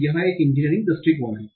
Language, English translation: Hindi, So this is what is engineering approach